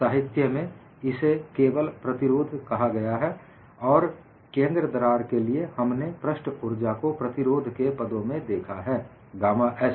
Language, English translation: Hindi, In the literature, it is called only as resistance, and for the center crack, we have looked at this resistance in terms of the surface energy gamma s